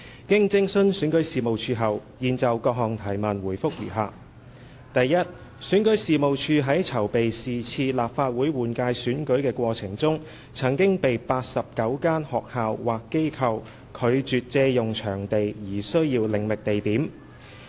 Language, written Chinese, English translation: Cantonese, 經徵詢選舉事務處後，現就質詢的各項問題答覆如下：一選舉事務處在籌備是次立法會換屆選舉的過程中，曾被89間學校或機構拒絕借用場地而需要另覓地點。, Having consulted the Registration and Electoral Office REO our reply to various parts of the question is as follows 1 In making preparations for the 2016 Legislative Council general election REOs requests for venue were rejected by 89 schools or organizations and thus had to look for alternate venues